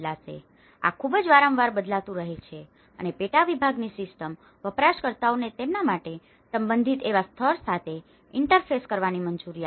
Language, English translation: Gujarati, So, this keeps changing very frequently and the system of subdivision allows users to interface with a level that is relevant to them